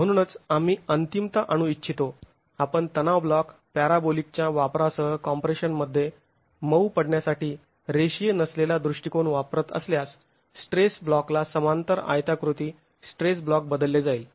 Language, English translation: Marathi, So it's only at the ultimate that we would like to bring in if you are using a non linear approach, the softening under compression with the use of a stress block, parabolic stress block replaced with an equivalent rectangular stress block